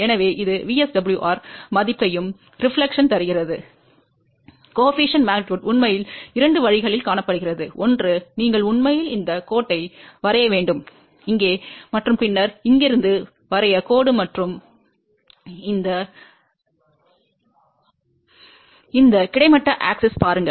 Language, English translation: Tamil, So, this one gives us the value of VSWR and the reflection coefficient magnitude can be found in actually two ways; one is you actually draw this line over here and then the draw line from here and look at this horizontal axis